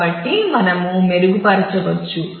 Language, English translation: Telugu, So, we can improve